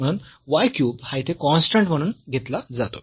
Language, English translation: Marathi, So, the y cube will be as taken as constant here